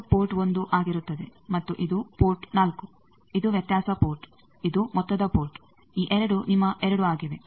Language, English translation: Kannada, This one will be 1 port and this is port 4, this is the difference port, this is the sum port these two are your 2